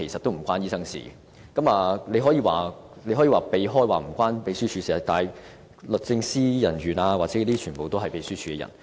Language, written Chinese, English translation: Cantonese, 局長可以迴避問題，說與秘書處無關，但律政司人員亦全屬秘書處的人員。, The Secretary may dodge the question saying that it has nothing to do with the Secretariat but the officers of DoJ are also officers of the Secretariat